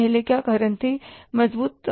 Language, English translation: Hindi, Earlier what was the reason